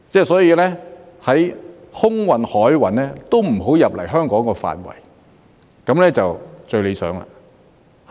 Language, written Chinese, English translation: Cantonese, 所以，空運及海運都不要進入香港的範圍，這樣便最理想。, Therefore it would be most desirable if neither air nor sea freight should enter the territory of Hong Kong